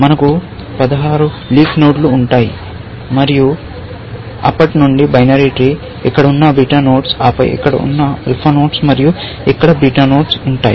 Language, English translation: Telugu, We will have 16 leaf nodes and since, a binary tree; there would be beta nodes sitting here, and then, alpha nodes sitting here, and beta nodes here